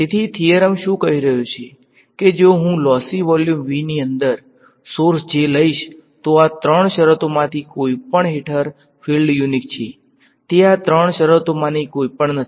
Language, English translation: Gujarati, So, what is the theorem saying that, if I take a source J, inside a lossy volume V then the fields are unique under any of these three conditions ;it is not all its any of these three conditions